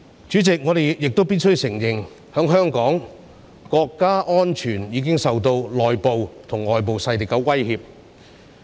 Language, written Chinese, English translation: Cantonese, 主席，我們亦必須承認，在香港，國家安全已經受到內部及外部勢力的威脅。, President we must admit that in Hong Kong national security has been threatened by internal and external forces